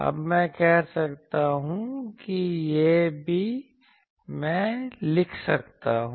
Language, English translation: Hindi, Now, I can say that this one, I can also write as